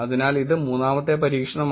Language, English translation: Malayalam, So that is the third experiment